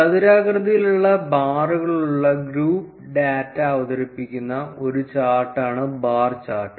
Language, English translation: Malayalam, A bar chart is a chart that presents group data with rectangular bars